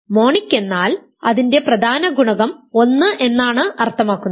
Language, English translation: Malayalam, Monic simply means that its leading coefficient is 1